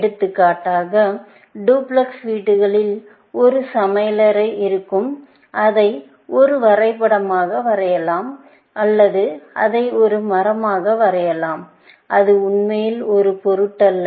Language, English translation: Tamil, For example, duplex house also will have a kitchen and so on, which I can always, draw it as a graph or I can draw it as a tree; it does not really matter